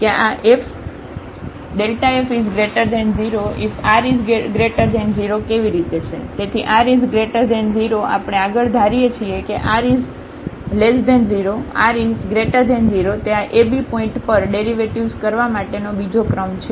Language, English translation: Gujarati, So, r is positive we further assume that r may be negative, r may be positive it is the second order a derivative at this ab points